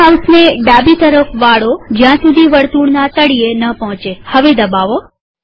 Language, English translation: Gujarati, Now turn the mouse to the left, until at the bottom of the circle